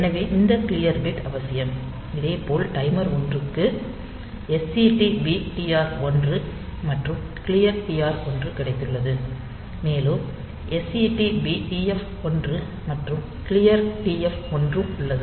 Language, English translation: Tamil, So, that way this clear bit is necessary, similarly for timer 1 we have got this SETB TR 1 and clear TR 1, and we have got this SETB TF 1, and clear TF 1 so, those things, and this 4 bits IE1 and IT 1 IT 0